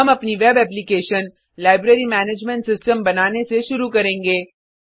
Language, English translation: Hindi, We will begin by creating our web application the Library Management System